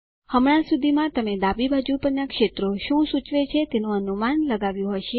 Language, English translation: Gujarati, By now you would have guessed what the fields on the left hand side indicate